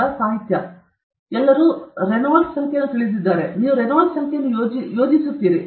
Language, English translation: Kannada, And then, literature, everybody knows Reynold’s number, you keep plotting Reynold’s number